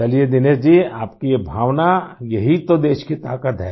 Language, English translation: Hindi, Fine Dinesh ji…your sentiment is the strength of the country